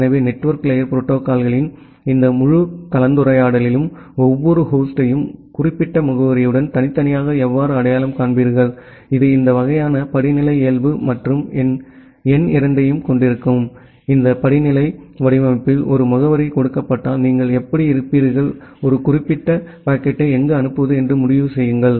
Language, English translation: Tamil, So, in this entire discussion of network layer protocols, we will look into that first of all how will you individually identify every host with certain address which has this kind of hierarchical nature and number two, given a address in this hierarchical format how will you decide where to forward a particular packet